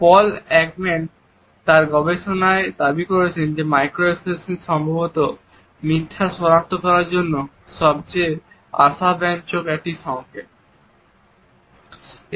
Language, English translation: Bengali, In his research Paul Ekman has claimed that micro expressions are perhaps the most promising cues for detecting a lie